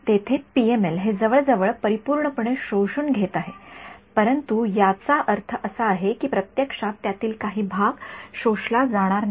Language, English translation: Marathi, PML over here so, its absorbing it almost perfectly, but I mean in practice some of it will not get absorbed right